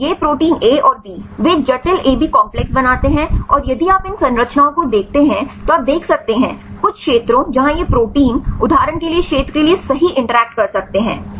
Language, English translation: Hindi, So, these proteins A and B, they form the complex rights AB complex and if you look at these structures you can see the some regions where these proteins can interact right for example this region right